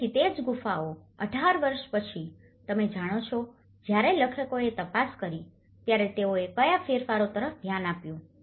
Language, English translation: Gujarati, So, the same caves 18 years after, you know, when the authors have investigated, so what changes they have looked at